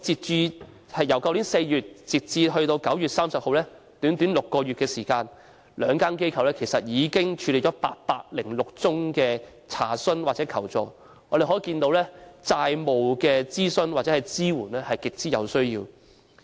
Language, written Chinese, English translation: Cantonese, 自去年4月至9月30日的短短6個月期間，兩間機構已處理了806宗查詢或求助，可見債務諮詢或支援服務是極有需要的。, Within as short as six months from April to 30 September last year the two organizations handled 806 cases of enquiries or requests for assistance thus showing the strong need for debt consultation or support services